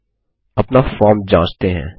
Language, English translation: Hindi, Now, let us test our form